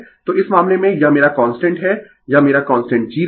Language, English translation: Hindi, So, in this case your this is my your constantthis is my constant G line